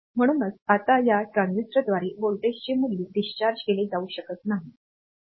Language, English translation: Marathi, So, now this voltage value at this point cannot be discharged by this transistor